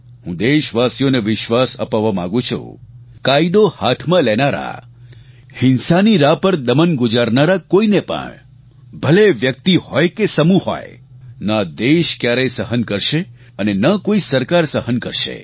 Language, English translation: Gujarati, I want to assure my countrymen that people who take the law into their own handsand are on the path of violent suppression whether it is a person or a group neither this country nor any government will tolerate it